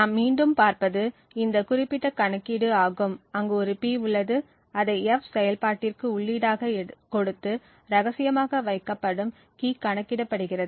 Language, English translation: Tamil, What we look at again is this particular computation, where there is a P which is taken as input and computed upon with this function F and there is also a key which is kept secret